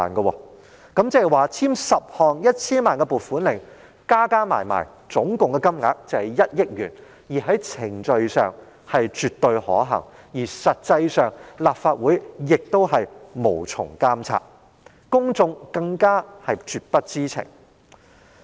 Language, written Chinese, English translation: Cantonese, 換言之，簽署10項各涉及 1,000 萬元的撥款令，撥出共達1億元的款項，在程序上是絕對可行，而實際上立法會亦無從監察，公眾更是絕不知情。, In other words it is definitely procedurally feasible to deploy a funding of 100 million in total by signing 10 allocation warrants of 10 million each and as a matter of fact the Legislative Council cannot monitor the issuance of such warrants and the public will know nothing about them